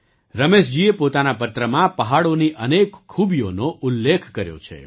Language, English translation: Gujarati, Ramesh ji has enumerated many specialities of the hills in his letter